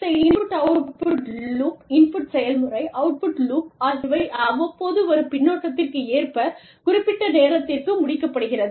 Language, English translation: Tamil, So, and this input output loop, input process, output loop, is completed in and through feedback, that comes in from time to time